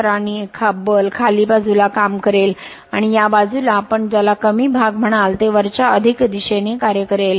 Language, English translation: Marathi, So, and force will be acting down ward and this side your what you call lower portion will be additive force will act upwards